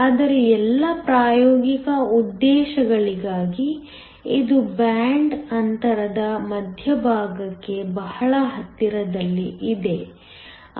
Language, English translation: Kannada, But, for all practical purposes it is very close to the center of the band gap